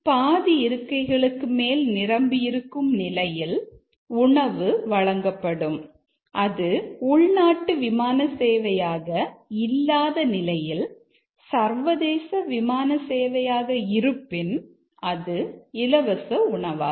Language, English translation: Tamil, As long as it is more than half full meals are served and if it is a international flight it's not a domestic flight then it is a free meal